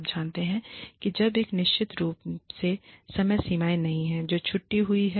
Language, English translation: Hindi, You know, unless of course, there are deadlines, that are being missed